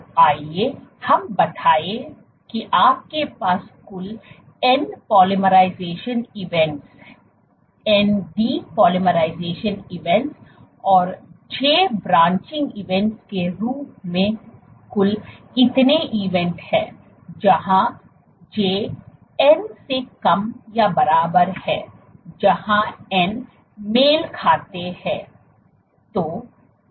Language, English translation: Hindi, So, let us say what are the events you have total number of events as n polymerization events, n de polymerization events, and j branching events, where j is less or equal to n where n corresponds